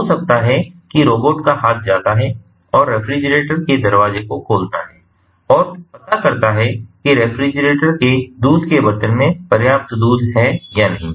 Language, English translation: Hindi, so may be, the robotic arm goes and opens the door of the refrigerator, checks whether there is sufficient milk in the milk pot of the refrigerator or not